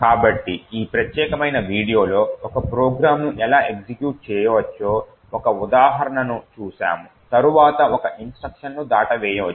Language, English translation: Telugu, So, in this particular video, we have seen one example of how we could manipulate execution of a program in such a way so that an instruction can be skipped